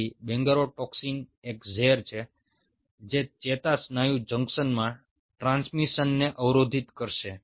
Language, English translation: Gujarati, so bungarotoxin is a toxin which will block the transmission in the neuromuscular junction